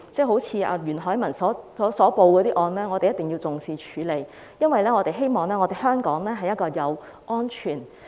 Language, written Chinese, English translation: Cantonese, 好像袁海文報警的案件，一定要重視及處理，因為我們希望香港成為一個安全的城市。, For those cases reported by Ramon YUEN the Police must handle them and attach great importance to them as we hope that Hong Kong can be a safe city